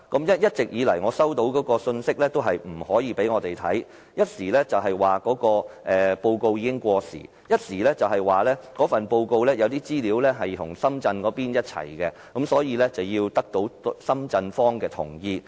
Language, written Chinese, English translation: Cantonese, 我一直收到的信息是，不能夠讓我們看，一時說報告已經過時，一時說報告中有些資料與深圳一起完成，所以要得到深圳一方的同意。, It explained that the study report was outdated or that approval from the Shenzhen side needed to be sought because some of the information in the report was drafted together with the Shenzhen side